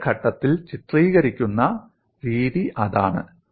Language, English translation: Malayalam, That is what the way depicted in the next step